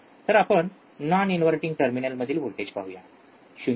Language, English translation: Marathi, So, let us first see voltage at non inverting terminal, voltage at the inverting terminal 0